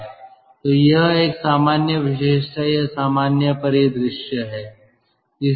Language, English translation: Hindi, so that is a common feature or common scenario